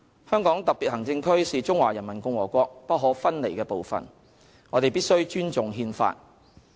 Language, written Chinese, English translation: Cantonese, 香港特別行政區是中華人民共和國不可分離的部分，我們必須尊重《憲法》。, HKSAR is an inalienable part of the Peoples Republic of China . We must respect the Constitution